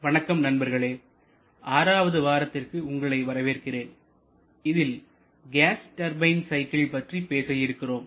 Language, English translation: Tamil, Good morning friends welcome to week number 6 where we are going to talk about the gas turbine cycles